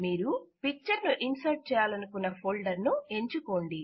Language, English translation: Telugu, Choose the folder from which you want to insert a picture